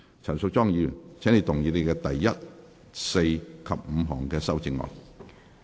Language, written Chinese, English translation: Cantonese, 陳淑莊議員，請動議你的第一、四及五項修正案。, Ms Tanya CHAN you may move your first fourth and fifth amendments